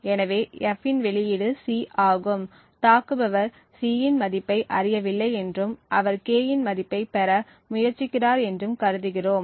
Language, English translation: Tamil, So, the output of F is C, we assume that the attacker does not know the value of C and he is trying to obtain the value of K